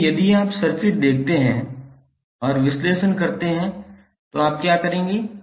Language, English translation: Hindi, So, if you see the circuit and analyse, what you will do